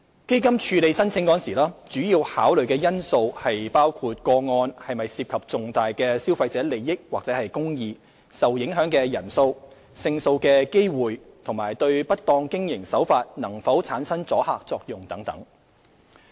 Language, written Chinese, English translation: Cantonese, 基金處理申請時，主要考慮因素包括個案是否涉及重大的消費者利益或公義、受影響的人數、勝訴的機會及對不當經營手法能否產生阻嚇作用等。, In considering applications to the Fund factors for consideration include whether significant public interest and injustice are involved the number of consumers affected the chance of success in litigation and whether there would be deterrent effect on unscrupulous business practices